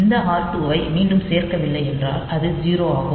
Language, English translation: Tamil, So, we do not have this r 2 to be added again